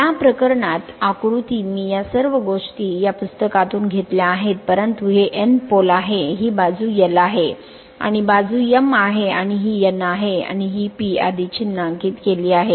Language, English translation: Marathi, In this case although diagram I have taken these all these things I have taken from book right, but this is a N pole, this is N pole, this side is l, and this side is m right and this is your N and this is your P already marked here